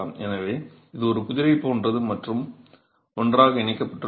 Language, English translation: Tamil, So, it's like a jigsaw puzzle and it's held together